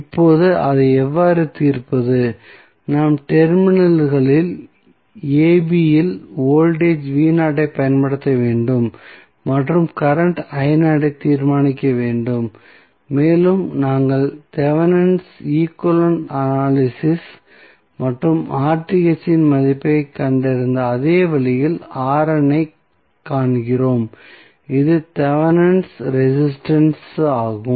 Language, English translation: Tamil, Now, how to solve it, we have to apply voltage V naught at the terminals AB and determine the current I naught and R n is also found in the same way as we analyzed the Thevenin's equivalent and found the value of RTH that is Thevenin's resistance